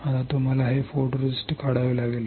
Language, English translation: Marathi, Now, you have to remove this photoresist